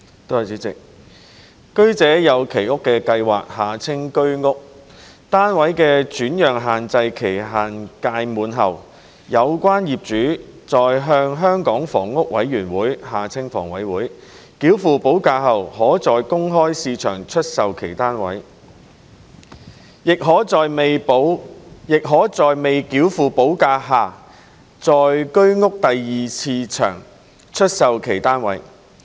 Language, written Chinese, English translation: Cantonese, 主席，居者有其屋計劃單位的轉讓限制期屆滿後，有關業主在向香港房屋委員會繳付補價後可在公開市場出售其單位，亦可在未繳付補價下在居屋第二市場出售其單位。, President upon the expiry of the alienation restriction period of Home Ownership Scheme HOS flats the owners concerned may sell their flats in the open market after paying a premium to the Hong Kong Housing Authority HA and they may also sell their flats in the HOS Secondary Market without paying a premium